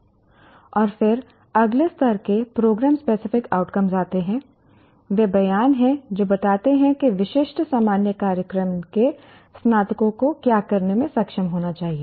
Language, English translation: Hindi, Program specific outcomes, they are statements that describe what the graduates of specific general program should be able to do